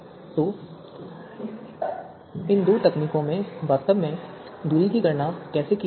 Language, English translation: Hindi, So how distance is actually computed in these two techniques let us discuss this